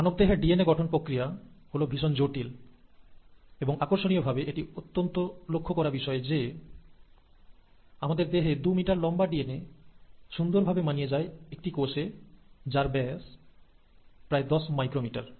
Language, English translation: Bengali, So our architecture, the architecture of human DNA, is far more complex, and it's interesting to note that our two meter long piece of DNA fits into a cell which has a diameter of about 10 micrometers